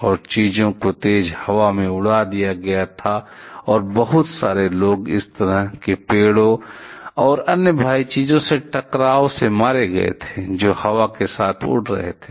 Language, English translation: Hindi, And things were blown away by strong air and lots of people were lots of people died by collision in this kind of trees and other heavy things, which were blowing with the air